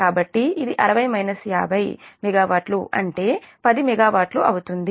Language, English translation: Telugu, so it is sixty minus fifty megawatt, that is ten megawatt